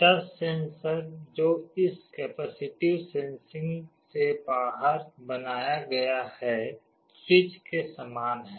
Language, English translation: Hindi, The touch sensor that is built out of this capacitive sensing is similar to a switch